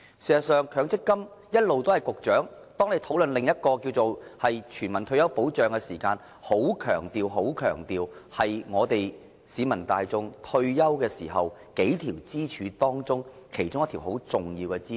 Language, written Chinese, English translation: Cantonese, 事實上，當大家討論全民退休保障時，局長一直很強調強積金是市民大眾退休保障的數條支柱中，其中很重要的一條支柱。, As a matter of fact during our discussion about universal retirement protection the Secretary has always emphasized that MPF is one of the several important pillars of retirement protection for the general masses